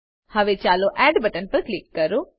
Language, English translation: Gujarati, Now lets click on Add button